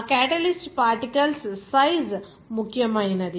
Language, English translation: Telugu, The size of that catalyst particles matters